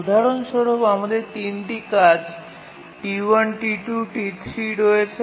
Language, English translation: Bengali, We have three tasks, T1, T2 and T3